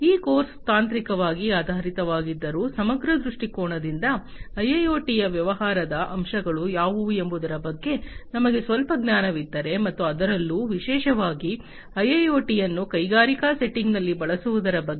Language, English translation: Kannada, Although this course is technically oriented, but from a holistic perspective, I think the understanding will be clearer, if we go through, if we have little bit of knowledge about what are the business aspects of IIoT, and particularly because IIoT is supposed to be used in the industrial settings